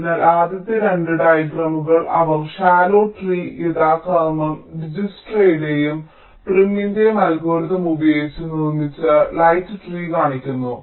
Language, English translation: Malayalam, they show the shallow tree and the light tree, constructed using dijkstras and prims algorithm respectively